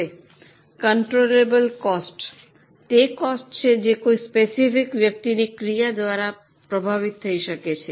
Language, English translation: Gujarati, Now, controllable costs are those costs which can be influenced by the action of a specific person